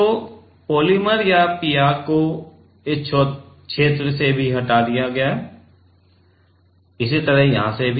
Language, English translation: Hindi, So, polymer or PR has been removed from this region and this region right similarly here also